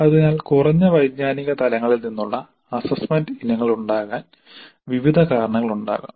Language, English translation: Malayalam, So there could be a variety of reasons because of which we may have assessment items from lower cognitive levels